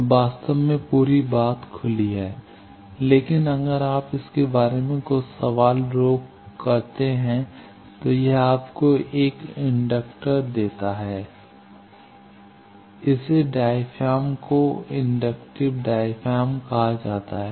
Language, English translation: Hindi, So, actually the whole thing was open, but if you block some question of it like this it gives you an inductor this is called a diaphragm, inductive diaphragm